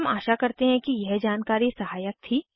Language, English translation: Hindi, We hope this information was helpful